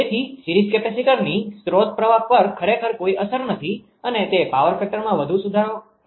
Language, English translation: Gujarati, So, series capacitor actually has no effect on source current right and it does not improve much to the power factor